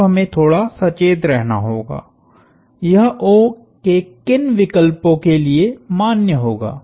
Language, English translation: Hindi, Now, we have to be a little careful, for what choices of O will this be valid